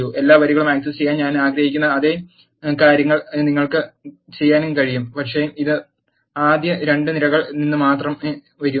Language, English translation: Malayalam, You can also do the same I want to access all the rows, but it has to be coming from first two columns only